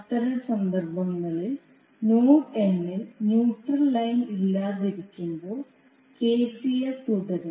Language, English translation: Malayalam, But in those cases when the neutral line is absent at node n KCL will still hold